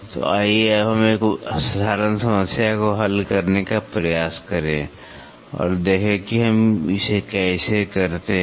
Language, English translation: Hindi, So, let us try to now solve a simple problem and let us see how do we do it